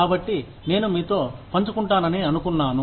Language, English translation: Telugu, So, I thought, I would share it with you